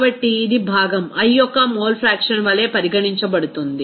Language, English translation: Telugu, So, it will be regarded as mole fraction of the component i